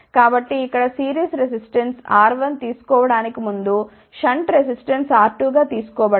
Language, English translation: Telugu, So, here again as before series resistance has been taken as R 1 shunt resistance has been taken as R 2